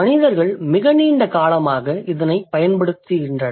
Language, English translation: Tamil, And human beings have been using it for really a long time